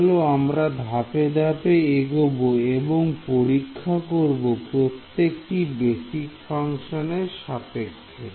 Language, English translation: Bengali, So, now, let us let us go step by step let us do testing now with respect to each of these basis functions ok